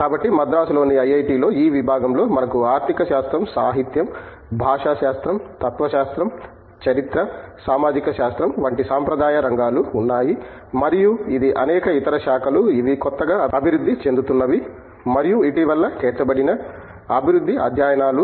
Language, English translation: Telugu, So, in this department at IIT, Madras, we have a traditional areas like economics, literature, linguistics, philosophy, history, sociology and it is several other branches which are is new emerging areas and also, what has been added recently is the developmental studies